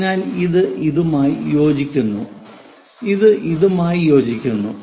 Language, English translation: Malayalam, So, this one coincides with this one, this one coincides with that one